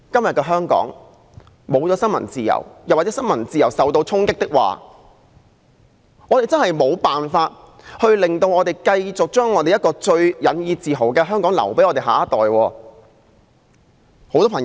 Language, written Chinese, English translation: Cantonese, 如果香港失去了新聞自由，又或新聞自由受到衝擊，我們真的無法把一個我們最引以自豪的香港留給我們的下一代。, If freedom of the press in Hong Kong is lost or challenged we will not be able to hand over Hong Kong which we take pride in to our next generation